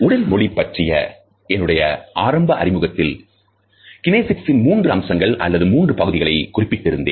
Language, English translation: Tamil, In my initial introduction to body language I had referred to three aspects or three types of kinesics because these are the original three types